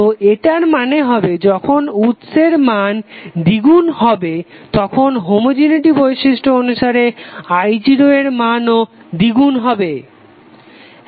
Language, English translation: Bengali, So it means that when sources value is double i0 value will also be double because of homogeneity property